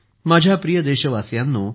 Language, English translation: Marathi, My dear countrymen, it is said here